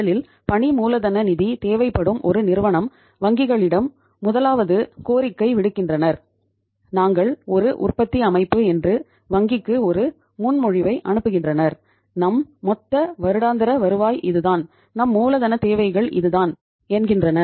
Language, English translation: Tamil, First of all a company uh who needs the working capital finance from the banks they request, they send a proposal to the bank that we are a manufacturing organization and our total annual turnover is this much and our working capital requirements are this much